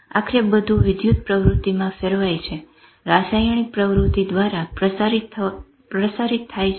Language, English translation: Gujarati, Ultimately everything converts to electrical activity, getting transmitted through chemical activity